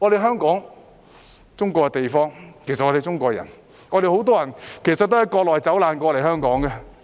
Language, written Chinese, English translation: Cantonese, 香港是中國的地方，我們都是中國人，很多人也是從國內走難來港的。, Hong Kong is part of China and we are all Chinese people . Many people fled from the Mainland to Hong Kong back then